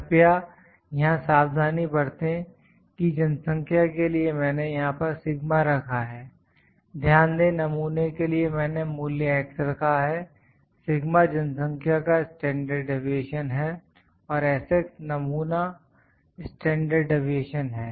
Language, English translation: Hindi, Please be careful here that I am putting sigma for population note for sample here for sample I have put the value as x, the sigma is the population’s standard deviation and s x is the sample standard deviation